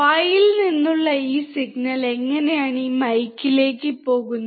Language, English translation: Malayalam, How does this signal from the mouth go to this mike